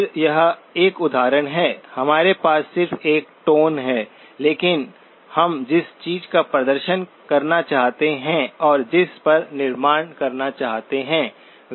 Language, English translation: Hindi, Again, this is an example we just a tone, but what we would like to demonstrate and build upon are the ability to work with